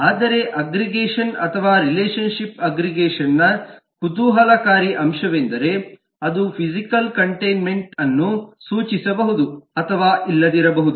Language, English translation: Kannada, but the interesting point for in aggregation or the relationship with aggregation, is that it may or may not be denote physical containment